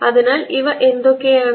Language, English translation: Malayalam, So, what does this tell us